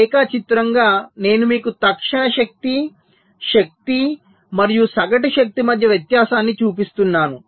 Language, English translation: Telugu, ok, so diagrammatically i am showing you the difference between instantaneous power, the energy and the average power